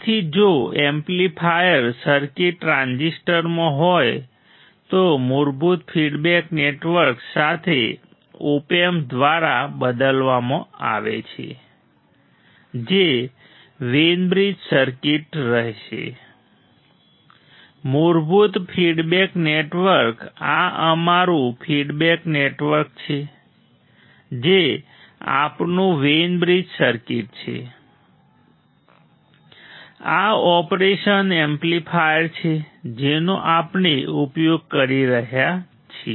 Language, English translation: Gujarati, So, if the amplifier circuit is in transistor is replaced by a Op amp with the basic feedback networks remains as the Wein bridge circuit right; the basic feedback network this is our feedback network which is our Wein bridge circuit correct, this is the operation amplifier that we are using right